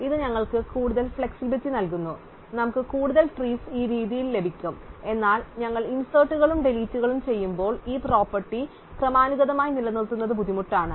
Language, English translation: Malayalam, So, this allows us more flexibility and we can get more trees this way, but it is difficult to maintain this property incrementally as we do inserts and deletes